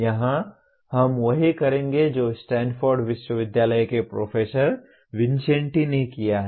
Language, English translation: Hindi, Here we will go with what professor Vincenti of Stanford University has done